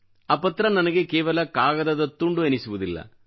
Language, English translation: Kannada, That letter does not remain a mere a piece of paper for me